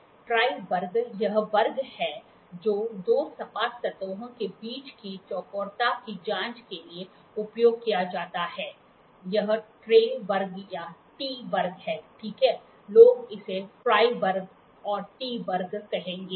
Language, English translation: Hindi, Try square it is try square which is used for checking the squareness between two flat surfaces; this is try square or a T square, ok, people will call it a try square and T square